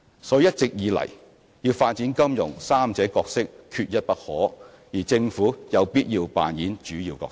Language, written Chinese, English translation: Cantonese, 所以一直以來，要發展金融三者角色缺一不可，而政府有必要扮演主要角色。, Hence contributions from all of the three parties are indispensable for the development of financial industry and the Government has to play a leading role